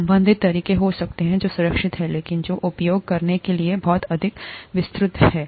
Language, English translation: Hindi, There could be related methods that are safer, but which are a lot more elaborate to use